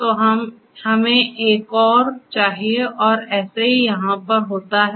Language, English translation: Hindi, So, we have to have one more and same goes here as well, right